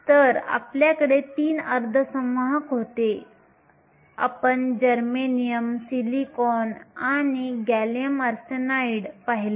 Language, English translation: Marathi, So, we had three semiconductors, we looked at germanium, silicon and gallium arsenide